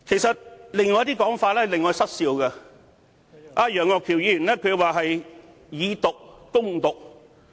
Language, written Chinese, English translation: Cantonese, 此外，還有一些令我失笑的說法，就是楊岳橋議員提到"以毒攻毒"。, In addition I cannot help laughing at the remark made by Mr Alvin YEUNG about fighting poison with poison